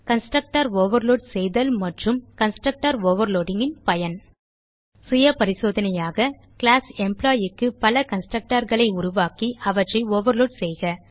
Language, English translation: Tamil, to overload constructor and the use of constructor overloading For self assessment, create multiple constructors for class Employeeand Overload the constructor